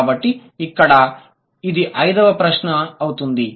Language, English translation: Telugu, So, that's the fifth explanation